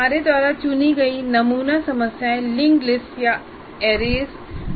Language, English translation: Hindi, All sample problems that we have chosen appear to be a linked list or arrays